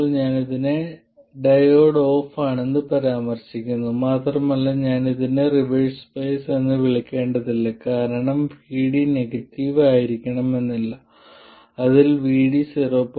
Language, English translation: Malayalam, Basically when the diode is off, by the way, I refer to this as the diode being off and I shouldn't really call this reverse bias because VD is not necessarily negative, it also includes VD less than 0